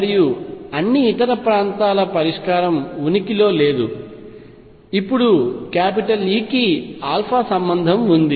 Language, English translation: Telugu, And for all the other region solution does not exists, now alpha is related to e